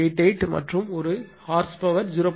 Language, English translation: Tamil, 88 and one horse power is equal to 0